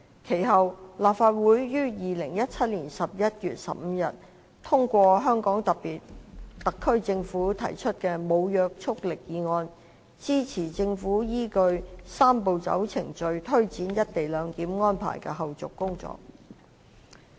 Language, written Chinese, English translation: Cantonese, 其後，立法會於2017年11月15日通過香港特區政府提出的無約束力議案，支持政府依據"三步走"程序推展"一地兩檢"安排的後續工作。, Subsequently on 15 November 2017 the Legislative Council passed a non - binding motion moved by the HKSAR Government in support of the Government in taking forward the follow - up tasks of the co - location arrangement pursuant to the Three - step Process